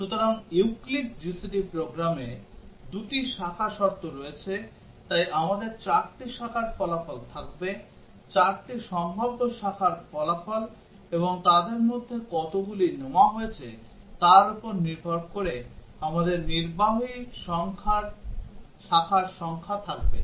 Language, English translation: Bengali, So in the program Euclid GCD, there are two branch conditions, so we would have four branch outcomes, four possible branch outcomes and depending on how many of those have taken, we would have number of executed branches